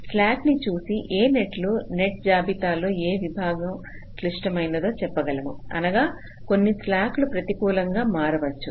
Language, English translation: Telugu, so by looking at the slack we can tell which of the nets are, which of the segments of the net list are critical in the sense that some of the slacks may become negative